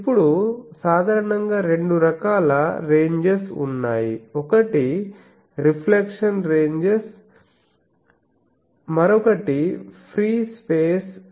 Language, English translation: Telugu, Now, in general there are two types of ranges one is reflection ranges, another is the free space ranges